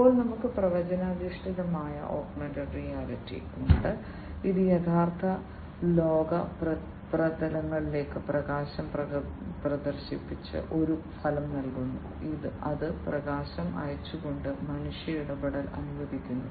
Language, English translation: Malayalam, Then we have the prediction based augmented reality, that gives an outcome by projecting light onto the real world surfaces and it allows the human interaction by sending light